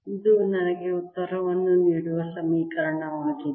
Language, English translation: Kannada, this is the equation that give me the answer